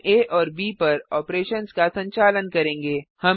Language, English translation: Hindi, We will perform operations on a and b